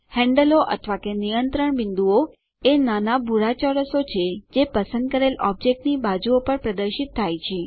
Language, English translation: Gujarati, Handles or control points, are the small blue squares that appear on the sides of the selected object